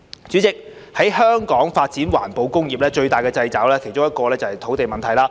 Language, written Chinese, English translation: Cantonese, 主席，在香港發展環保工業，最大的掣肘之一是土地問題。, President one of the greatest constraints on the development of environmental industries in Hong Kong is the land issue